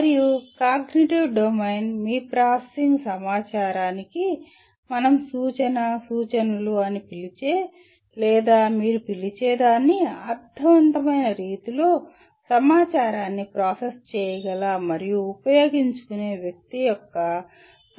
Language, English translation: Telugu, And cognitive domain deals with the person’s ability to process and utilize information in a meaningful way what we call reference/references to your processing information or what you call we call it intellect